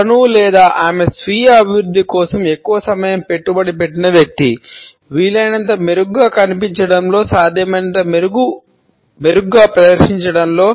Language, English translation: Telugu, He or she would be a person who has invested a lot of time in self improvement; in looking as better as possible in performing as better as possible, performing in as better a way as possible